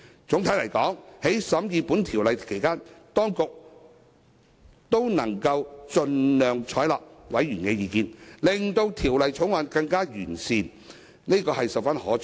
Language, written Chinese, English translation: Cantonese, 總的來說，在審議《條例草案》期間，當局能夠盡量採納委員的意見，令《條例草案》更加完善，這是十分可取的。, Generally speaking during the deliberation of the Bill the authorities have been able to adopt the views of members as far as practicable in order to improve the Bill . This move is highly commendable